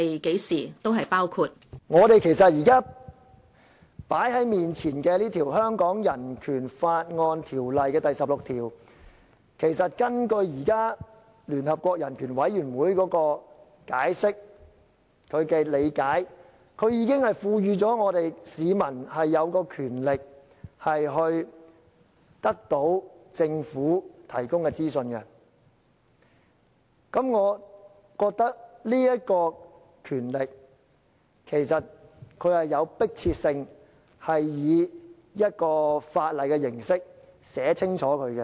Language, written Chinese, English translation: Cantonese, 即是說，現在放在眼前的香港人權法案第十六條，如根據聯合國人權委員會的解釋和理解，這條文已賦予香港市民權力可得到政府提供的資訊，而我認為這權力其實是有迫切性，應以法例的形式清楚訂明。, Such information includes records held by a public body regardless of the form in which the information is stored its source and the date of production . In other words according to the explanation and understanding of United Nations Human Rights Committee Article 16 of the Hong Kong Bill of Rights that lays before us already empowers members of the public to access government information . In my opinion there is an urgent need to provide in clear terms this power in the form of an ordinance